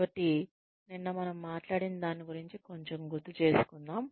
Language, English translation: Telugu, So, let us revise a little bit about, what we talked about yesterday